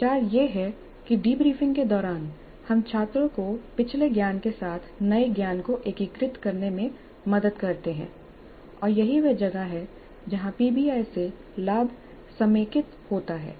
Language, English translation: Hindi, So the idea is that during the debriefing we help the students to integrate the new knowledge with the previous knowledge and that is where the gains from PBI get consolidated